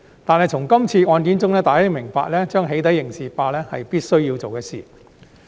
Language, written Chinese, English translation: Cantonese, 然而，從今次案件，大家明白到"起底"刑事化是必須做的事情。, Nevertheless it is clear from this case that criminalization of doxxing is crucial